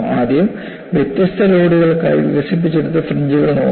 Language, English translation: Malayalam, First, look at the fringes developed for different loads